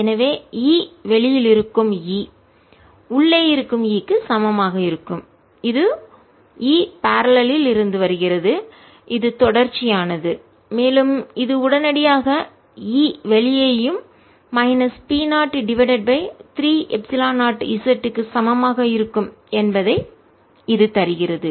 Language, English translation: Tamil, so e outside is going to be same as e inside, and this comes from e parallel is continuous and this immediately gives you that e outside is also going to be equal to minus p, zero over three, epsilon zero z